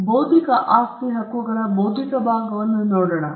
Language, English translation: Kannada, Now, let’s take the intellectual part of intellectual property rights